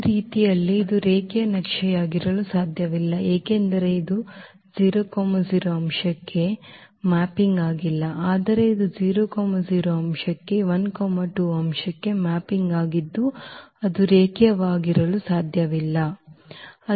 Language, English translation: Kannada, So, in this way this cannot be a linear map because it is not mapping 0 0 element to 0 0 element, but it is mapping 0 0 element to 1 2 element which cannot be a linear map